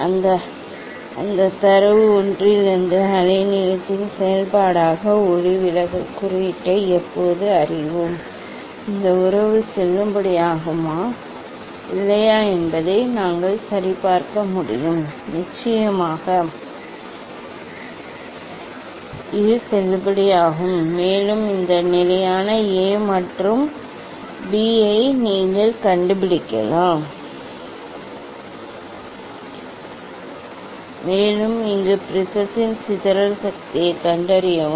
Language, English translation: Tamil, when will we know the refractive index as a function of wavelength from that data one, we can verify whether this relation is valid or not; of course, it is valid and also you can find out this constant A and B, And, then here find out the dispersive power of the prism